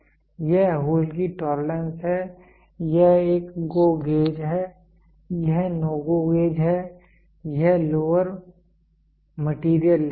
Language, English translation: Hindi, This is the tolerance of the hole this is a GO gauge, this is NO GO gauge and this is the lower material limit